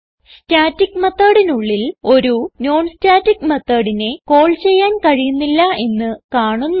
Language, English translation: Malayalam, We see that we cannot call a non static method inside the static method So we will comment this call